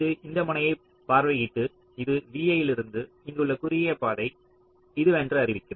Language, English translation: Tamil, so it will pick up this and it will visit this node and declare that this is the shortest path from v i to here